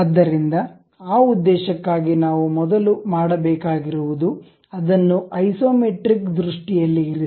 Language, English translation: Kannada, So, for that purpose, what we have to do first of all keep it in isometric view